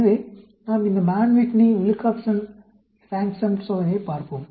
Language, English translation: Tamil, So, let us look at this Mann Whitney/Wilcoxon Rank Sum Test